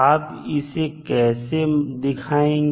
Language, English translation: Hindi, so how will you get